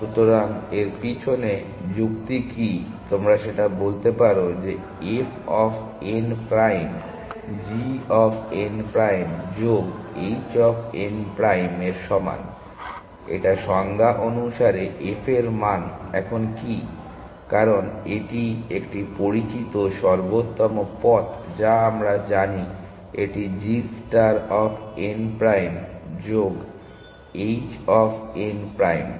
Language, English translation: Bengali, So, what is the argument behind this you can say that f of n prime is equal to g of n prime plus h of n prime it is by definition of what the f value is now, because it is the known optimal path we know that this is g star of n prime plus h of n prime